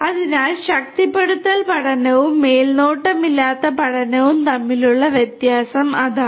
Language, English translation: Malayalam, So, that is the difference between the reinforcement learning and unsupervised learning